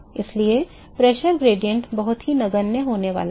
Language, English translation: Hindi, So, the pressure gradient is going to be very very insignificant